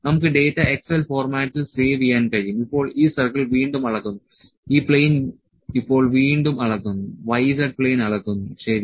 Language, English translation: Malayalam, So, we can save the data in excel format now this circle is again measured, this plane is now, this plane is again measured, the y z plane the y z plane is measured, ok